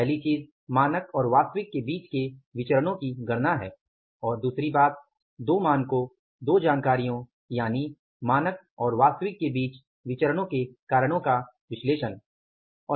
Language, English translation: Hindi, First thing is calculating the variances between the standard and actual and second thing is analyzing the causes of variances between the two, say, standards, two information that is standard as well as actual